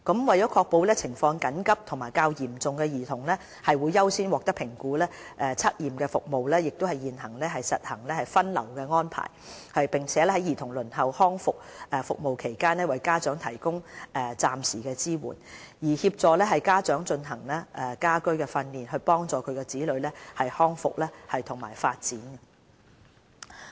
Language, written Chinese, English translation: Cantonese, 為確保情況緊急和較嚴重的兒童會優先獲得評估，測驗服務現已實行分流安排，並在兒童輪候康復服務期間為家長提供暫時性支援，協助家長進行家居訓練，幫助其子女康復和發展。, CAS has already adopted a triage system to ensure that children with urgent and more serious conditions are accorded with higher priority in assessment . While children await rehabilitation services DH will provide temporary support to their parents to enable parents to provide home - based training to facilitate the development and growth of the children